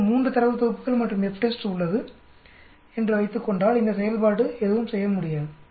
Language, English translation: Tamil, Suppose I have 3 data sets and FTEST, this function cannot do anything